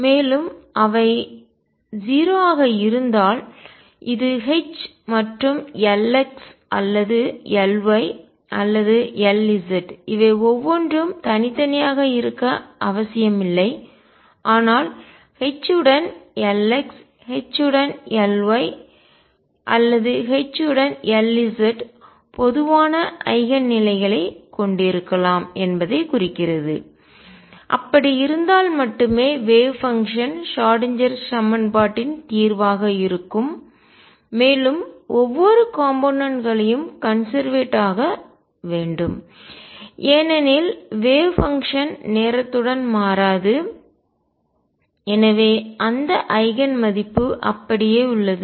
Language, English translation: Tamil, And if they are 0 this also implies that H and L x or L y or L z not necessarily each one of these, but H with L x H with L y or H with L z can have common eigen states then only the wave function that is a solution of the Schrodinger equation would have the each component being conserved, because the wave function does not change with time and therefore, that eigen value remains the same